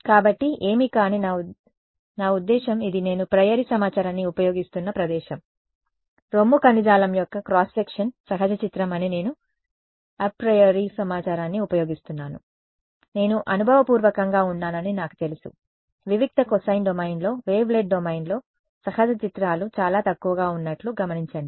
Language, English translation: Telugu, So, what, but I mean this is the place where I am using a priori information, I am using the apriori information that the cross section of breast tissue is a natural image; I know I am empirically it has been observed the natural images are sparse in wavelet domain in discrete cosine domain and so on